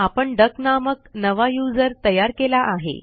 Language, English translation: Marathi, We have created a new user called duck